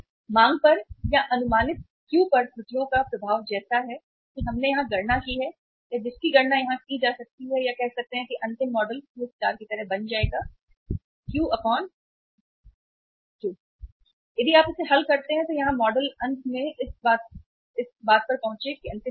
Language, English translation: Hindi, Impact of the errors on the demand or on the estimated Q as we have calculated here or which can be calculated here say the final model will become like Q star minus Q divided by Q and if you solve this model here finally we arrive at this particular thing which is the last thing